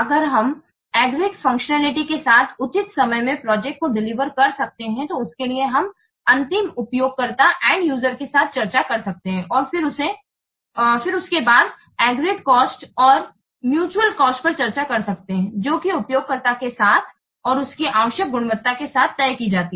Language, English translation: Hindi, So, if there are we can deliver the project in proper time with agreed functionality that has been what discussed with the end user and then are the agreed cost at the mutual cost that is decided with the user and then with the required quality